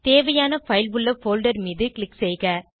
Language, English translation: Tamil, Click on the folder where the required file is located